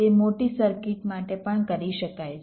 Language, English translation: Gujarati, it can be done for large circuits also